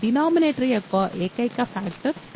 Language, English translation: Telugu, Only factor of denominator is 2